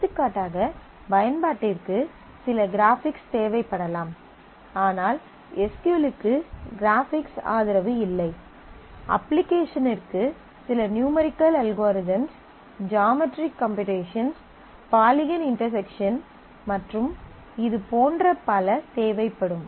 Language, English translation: Tamil, For example, the application might require some graphics, SQL does not have support for graphics; application might require certain numerical algorithms to be executed might require some geometric computations to be done poly intersection of polygons to be computed and so on and so forth